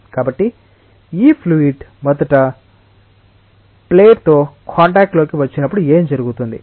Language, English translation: Telugu, So, when this fluid first comes in contact with the plate what happens